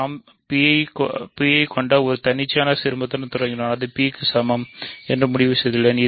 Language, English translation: Tamil, So, we are done because I have started with an arbitrary ideal that contains P and I have concluded it is either equal to P